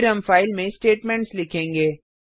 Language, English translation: Hindi, Then we will write the statements into the file